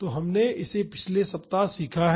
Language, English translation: Hindi, So, we have learned this last week